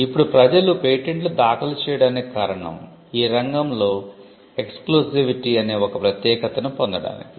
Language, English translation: Telugu, Now the reason why people file patents are to get a exclusivity in the field